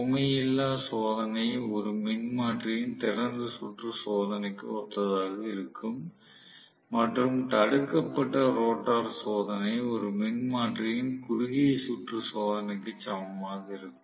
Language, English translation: Tamil, So, please realize that the no load test is corresponding to open circuit test of a transformer and block rotor test is equal to short circuit test of a transformer